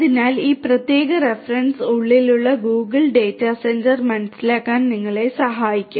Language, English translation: Malayalam, So, this particular reference will help you to understand the Google data centre what is inside you know